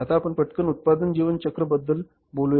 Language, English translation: Marathi, Now let's talk about the product lifecycle